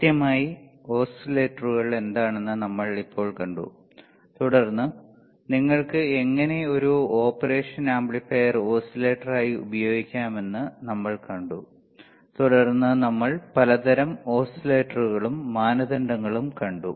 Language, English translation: Malayalam, So, until now we have seen what exactly oscillators isare, then we have seen how you can use operational amplifier as an oscillator, then we have seen kinds of oscillators and the criteria right